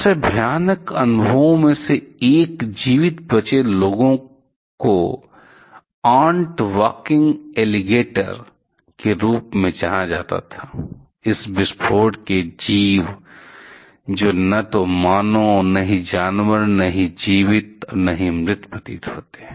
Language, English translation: Hindi, One of the most horrific experiences the survivors found was something known as the ant walking alligators, creatures of the blast that seem neither human nor animal neither living nor dead